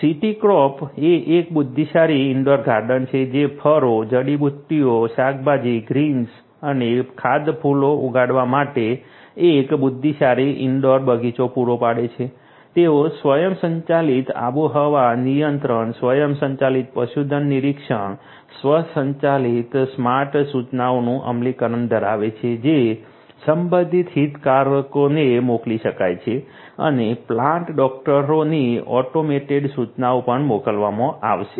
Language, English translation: Gujarati, CityCrop is an intelligent indoor garden that provides intelligent indoor garden to grow fruits, herbs, vegetables, greens and edible flowers, they have implementation of automated climate control, automated livestock, monitoring automated you know smart notifications which can be sent to the concerned stakeholders and also to the plant doctors automated notifications would be sent